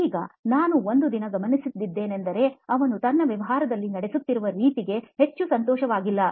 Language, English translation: Kannada, Now I one day noticed that he was not too happy with the way his business was being run